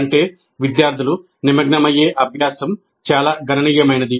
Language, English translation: Telugu, That means the practice in which the students engage is quite substantial